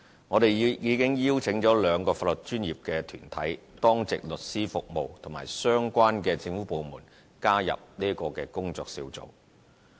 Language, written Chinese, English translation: Cantonese, 我們已邀請兩個法律專業團體、當值律師服務和相關政府部門加入這工作小組。, We have invited the two legal professional bodies the Duty Lawyer Service and relevant government departments to join the working group